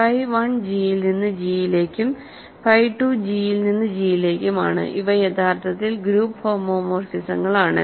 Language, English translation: Malayalam, Phi 1 is from G to G, phi 2 is also from G to G; these are actually group homomorphisms